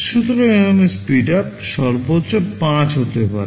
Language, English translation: Bengali, So, here the speedup can be maximum 5